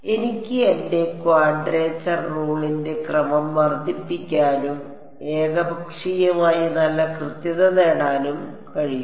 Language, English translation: Malayalam, I can increase the order of my quadrature rule and get arbitrarily good accuracy right